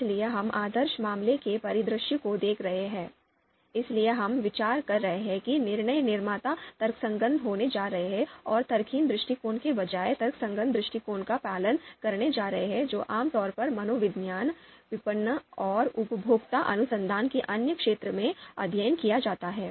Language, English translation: Hindi, So we are looking at the ideal case scenario, therefore we are considering that decision makers are going to be rational, you know going to follow rational approach, instead of the irrational approach that is typically studied in the other fields of psychology, marketing and consumer research